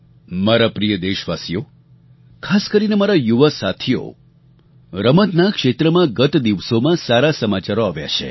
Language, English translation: Gujarati, My dear countrymen, especially my young friends, we have been getting glad tidings from the field of sports